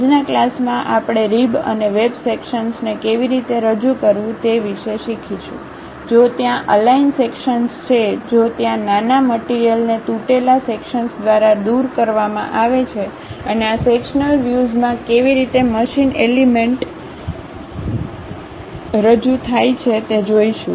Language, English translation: Gujarati, In today's class, we will learn about how to represent rib and web sections; if there are aligned sections, if there is a small material is removed by brokenout sections and how typical machine elements in this sectional view be represented